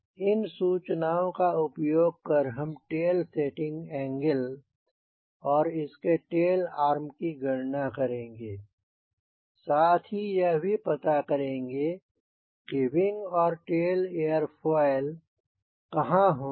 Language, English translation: Hindi, now, using this information, we have to design what will be the tail setting angle and what will be the arm, what will be the position of wing and tail airfoil